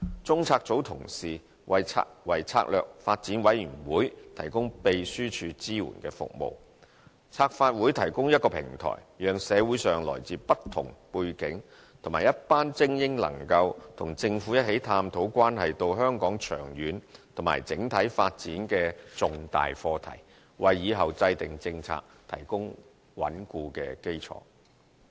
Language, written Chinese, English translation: Cantonese, 中策組同事為策略發展委員會提供秘書處支援服務。策發會提供平台讓社會上來自不同背景的一群精英，能夠與政府一起探討關係香港長遠及整體發展的重大課題，為以後制訂政策提供穩固基礎。, CPU staff provide secretariat support to the Commission on Strategic Development which provides a platform for a group of talented people from different social backgrounds to discuss with the Government some substantial issues concerning the long - term and overall development of Hong Kong thus paving a solid ground for the formulation of policies in future